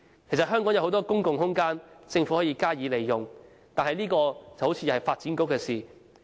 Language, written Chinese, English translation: Cantonese, 其實香港有很多公共空間，政府可以加以利用，這方面看來是發展局的工作。, Hong Kong does have many open spaces which the Government can utilize . This area of work is under the ambit of the Development Bureau